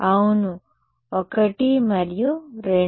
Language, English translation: Telugu, Yes 1 and 2